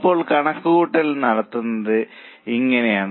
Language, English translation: Malayalam, Now the calculation is done like this